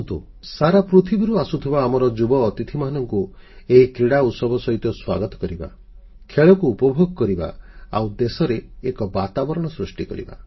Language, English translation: Odia, Come, let's welcome the young visitors from all across the world with the festival of Sports, let's enjoy the sport, and create a conducive sporting atmosphere in the country